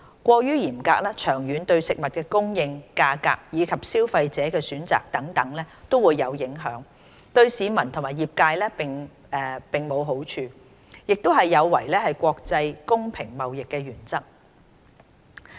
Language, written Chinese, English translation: Cantonese, 過於嚴格，長遠對食物供應、價格，以及消費者的選擇等均有影響，對市民和業界並無好處，亦有違國際公平貿易的原則。, Overly stringent standards will in the long run affect food supply prices and consumer choices etc bringing no benefit to the people and the trade while violating the principle of international fair trade